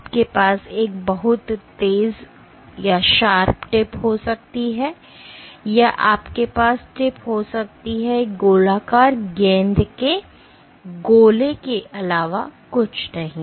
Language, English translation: Hindi, You can have a very sharp tip or you can have the tip is nothing but a spherical ball sphere ok